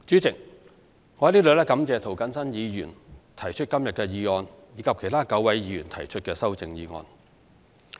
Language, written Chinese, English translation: Cantonese, 主席，我在此感謝涂謹申議員提出今天的議案，以及其他9位議員提出修正案。, President I thank Mr James TO for proposing the motion today and the other nine Members for proposing the amendments